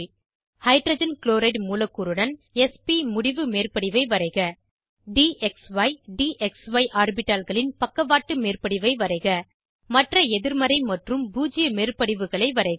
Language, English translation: Tamil, * Draw s p end on overlap with Hydrogen chloride molecule * Draw side wise overlap of dxy dxy orbitals * Draw other negative and zero overlaps